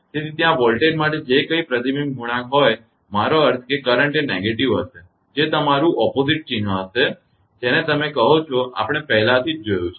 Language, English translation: Gujarati, So, whatever reflection coefficient for the voltage there I mean current will be just negative the opposite sign that is the your; what you call that is all that already we have seen